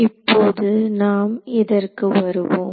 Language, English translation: Tamil, Now, let us come to that